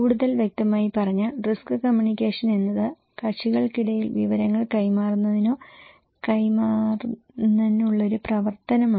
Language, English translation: Malayalam, More specifically, risk communication is the act of conveying, is an act of conveying or transmitting information between parties